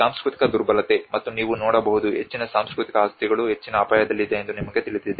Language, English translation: Kannada, The cultural vulnerability: and you can see that you know much of the cultural properties are under the high risk